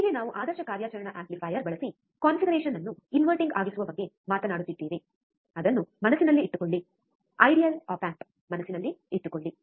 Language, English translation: Kannada, Thus we are talking about inverting configuration using ideal operational amplifier, mind it, here ideal op amp